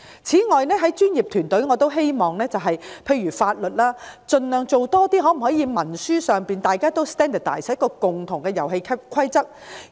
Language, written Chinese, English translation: Cantonese, 在專業服務方面，例如法律服務，兩地可否將文書規範化，讓大家跟循統一的遊戲規則呢？, In the case of professional services such as legal services is it possible for both places to standardize their instruments so that everybody can follow the same set of rules?